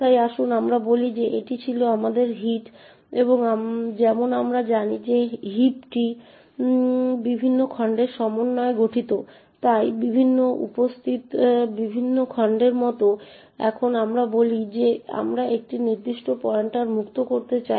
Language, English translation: Bengali, know that the heap comprises of various chunks, so this these are like the various chunks that are present and let us say now that we want to free a particular pointer